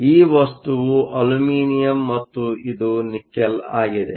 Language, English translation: Kannada, So, this material is Aluminum and this is Nickel